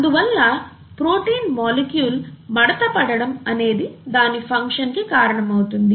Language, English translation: Telugu, Therefore the protein molecule folds and the folding of the protein molecule is what results in its function